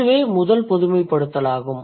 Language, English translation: Tamil, So, that's the first generalization